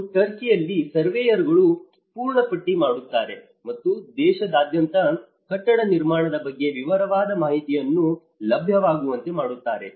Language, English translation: Kannada, And in Turkey, surveyors catalogue and make available detailed information on building construction throughout the country